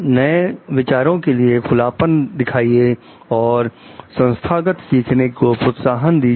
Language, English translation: Hindi, Shows openness to new ideas and fosters organizational learning